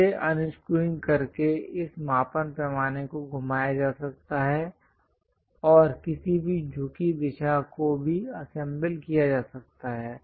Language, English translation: Hindi, So, by unscrewing this, this measuring scale can be rotated and any incline direction also it can be assembled